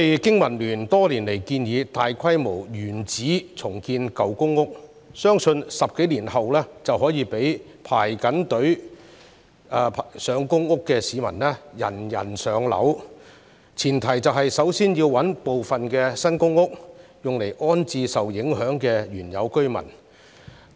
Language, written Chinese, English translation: Cantonese, 經民聯多年來一直建議大規模原址重建舊公屋，此舉相信可在10多年後讓輪候公屋的市民人人"上樓"，但前提是要先行物色一些新公屋安置受影響的原有居民。, Year after year BPA has suggested a large - scale in - situ redevelopment of old public rental housing PRH estates in the belief that 10 - odd years later all applicants will be allocated PRH units . The first step is however to identify new PRH units to rehouse the PRH tenants affected by the redevelopment